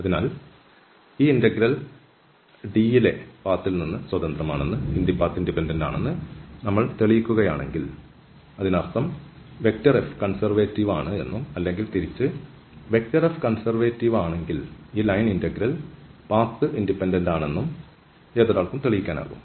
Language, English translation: Malayalam, So, if we prove that this integral is independent of path in D that means, that F is conservative or the other way around if F is conservative one can prove that this line integral is path independent